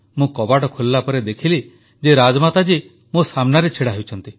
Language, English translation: Odia, I opened the door and it was Rajmata Sahab who was standing in front of me